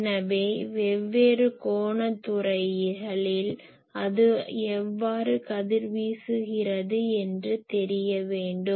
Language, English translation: Tamil, So, how it is radiating in different angular sectors it is radiating